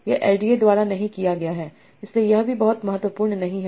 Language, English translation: Hindi, This is not by LDA but this is also not very very important